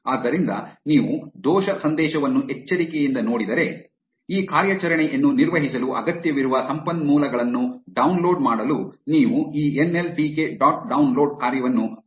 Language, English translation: Kannada, So, if you look at the error message carefully, it says that you should use this nltk dot download function to download the resources that are required to perform this operation